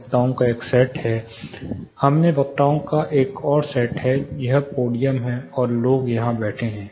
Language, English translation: Hindi, There is one set of speakers, there is one more set of speakers in this, this is the podium, and people are seated here